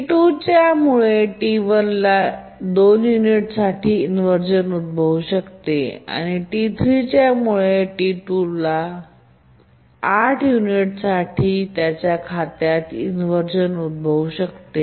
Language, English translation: Marathi, So, T3 can undergo inversion on account of T4 for one unit, and similarly T4 can undergo inversion on account of T6 for 8 units